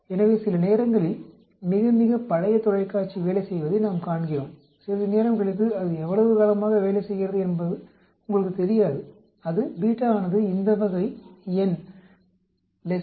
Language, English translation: Tamil, So sometimes we see very very old television keeps working after sometime you will not know how long it has been working for, that could be beta is equal to this type of number beta less than 0